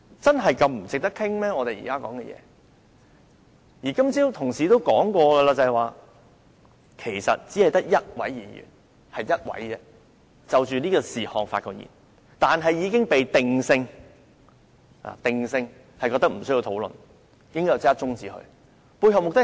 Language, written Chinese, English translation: Cantonese, 正如今早有同事提出，只有一位議員就這議題發言，但議題已經被定性為無需討論，應該立刻中止待續，背後目的是甚麼？, As pointed out by a Member this morning only one Member has spoken on this subject but it has been decided that the subject should not be further discussed and be immediately adjourned